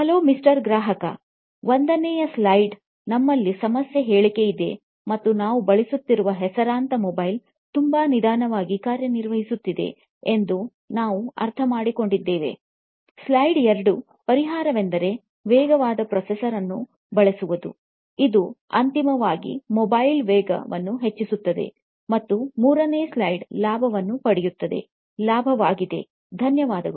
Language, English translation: Kannada, Hello Mr Customer, slide one, we have the problem statement and we understand that the reputed mobile that you are using is running very slow, slide two, the solution is to use a faster processor, which will ultimately increase the speed of the mobile and third slide is the profits, will get profits, thank you